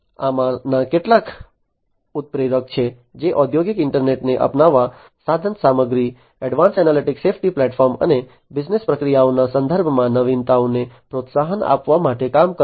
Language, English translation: Gujarati, These are some of these catalysts which will work to promote the adoption of industrial internet, innovations in terms of equipment advanced analytics safety platform and business processes is number 1